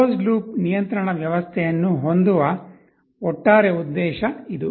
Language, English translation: Kannada, This is the overall purpose of having a closed loop control system